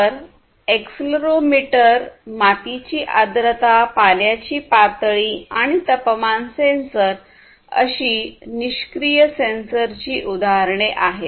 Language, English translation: Marathi, So, examples of passive sensors are accelerometer, soil moisture, water level, temperature sensor, and so on